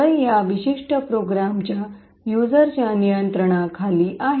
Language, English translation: Marathi, So, it is in control of the user of this particular program